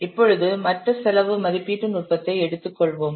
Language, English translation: Tamil, Now let's take up the other cost estimation technique